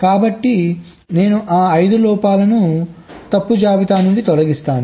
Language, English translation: Telugu, so i remove those five faults from the fault list